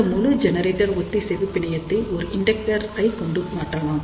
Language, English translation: Tamil, So, this entire generator tuning network is simply replaced by an inductor